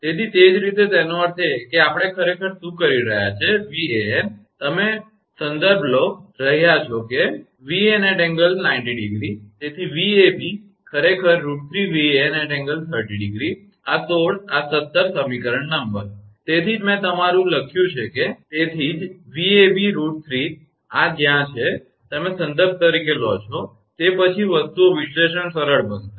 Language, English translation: Gujarati, So, similarly; that means, what we are doing actually Van, we have you are taking as reference say, Van angle 0 degree therefore, Vab actually root 3 Van angle 30 degree, this 16 this 17 equation number, that is why your I have written that is why Vab root 3 where this is, you take as a reference, then only then things analysis will be easier right